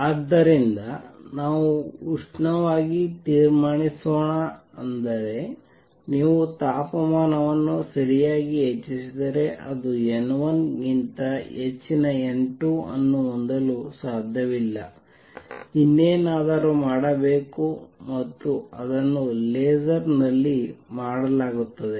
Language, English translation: Kannada, So, let us conclude thermally that means, if you raise the temperature right it is not possible to have n 2 greater than n 1, something else as to be done and that is what is done in a laser